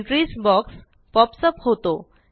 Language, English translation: Marathi, The Entries box pops up